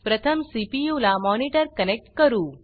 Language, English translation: Marathi, First, lets connect the monitor to the CPU